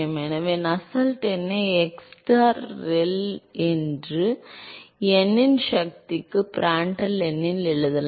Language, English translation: Tamil, So, Nusselt number can simply be written as xstar ReL into Prandtl to the power of n